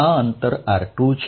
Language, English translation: Gujarati, Let this distance be r2